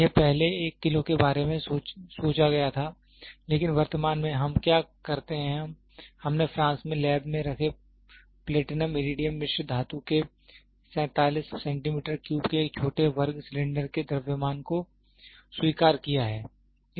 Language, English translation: Hindi, That was thought about first for a kg, but currently what we do is we have accepted the mass of a small square cylinder of 47 cubic centimeter of Platinum Iridium alloy kept in lab in France